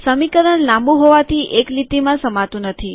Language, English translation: Gujarati, Its a long equation so it doesnt fit into one line